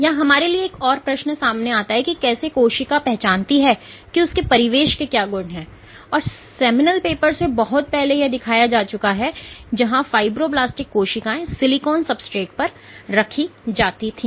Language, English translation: Hindi, So, that also brings us to the question that how does the cell know what is the property of it is surroundings, and what has been shown long back from this seminal paper where fibroblasts were plated on silicon substrates